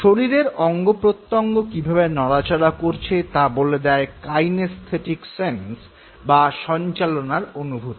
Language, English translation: Bengali, Now kinesthesis is the feeling of motion of the body part involved in some form of a movement